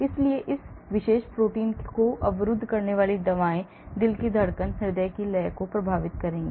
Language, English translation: Hindi, so any disturbance drugs blocking this particular protein will affect the heartbeat, heart rhythm